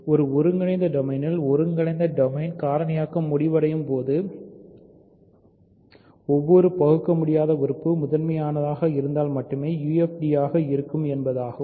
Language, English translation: Tamil, In an integral domain where factoring terminates that integral domain is UFD if and only if every irreducible element is prime